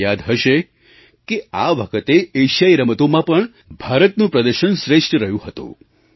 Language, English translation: Gujarati, You may recall that even, in the recent Asian Games, India's performance was par excellence